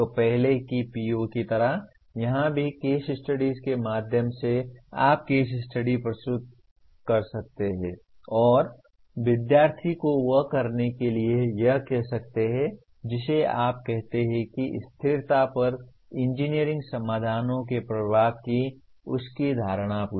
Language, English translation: Hindi, So like the earlier PO, here also through case studies you can present the case study and ask the student to do what do you call ask his perception of the impact of engineering solutions on sustainability